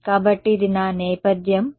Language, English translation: Telugu, So, this is my background this is my